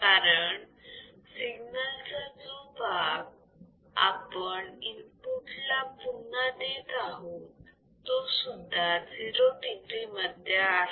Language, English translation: Marathi, Because the signal the part of the signal that we have providing back to the input right that is also 0 degree